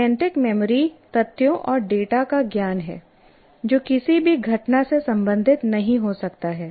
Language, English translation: Hindi, Whereas semantic memory is knowledge of facts and data that may not be related to any event